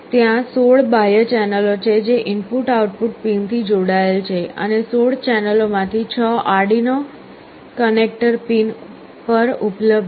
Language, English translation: Gujarati, There are 16 external channels that are connected to the input/output pins and out of the 16 channels, 6 of them are available on the Arduino connector pins